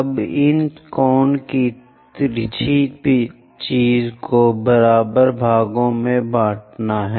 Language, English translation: Hindi, Now divide this cone slant thing into equal number of parts